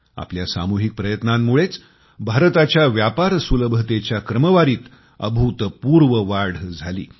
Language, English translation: Marathi, It is due to our collective efforts that our country has seen unprecedented improvement in the 'Ease of doing business' rankings